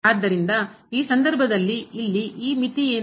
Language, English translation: Kannada, So, in this case what will be this limit here